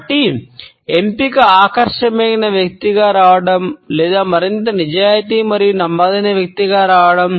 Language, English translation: Telugu, So, the option is either to come across as an attractive person or is a more honest and dependable person